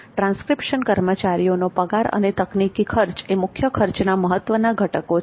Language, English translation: Gujarati, Salary of the transcription personnel and technology costs are the major elements of total cost